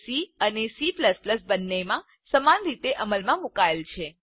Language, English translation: Gujarati, It is implemented the same way in both C and C++